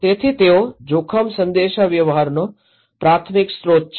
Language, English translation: Gujarati, So, the primary source of risk communications